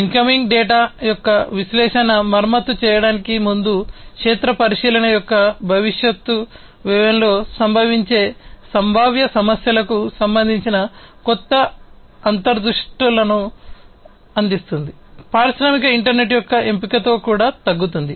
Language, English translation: Telugu, Analysis of the incoming data will provide new insights relating to potential problems which can occur in the future cost of field inspection before repairing will also get reduced with their option of the industrial internet